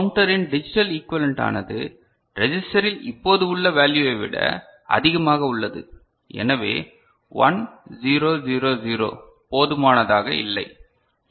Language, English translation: Tamil, The counter the digital equivalent is more than this value which is now currently stored in the register so, 1 triple 0 is not enough right